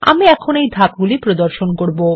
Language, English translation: Bengali, I will now demonstrate these steps